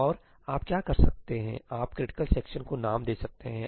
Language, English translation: Hindi, And what you can do is, you can give names to critical sections